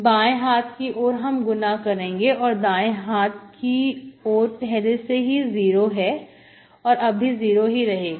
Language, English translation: Hindi, So left hand side I multiply, right hand side is 0, so to 0